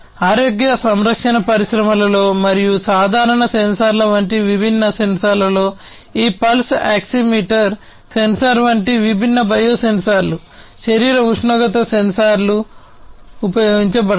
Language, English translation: Telugu, Health care: in healthcare industry as well different sensors, such as the regular ones for example, different biosensors like you know this pulse oximeter sensor, body temperature sensors could be used